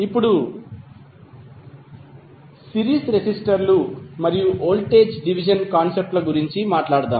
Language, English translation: Telugu, Now, let us talk about the series resistors and the voltage division concepts